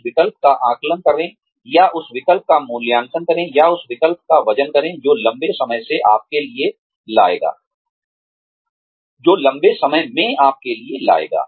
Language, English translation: Hindi, Assess that choice, or, evaluate that choice, or, weigh that choice, in terms of, what it will bring to you in the long term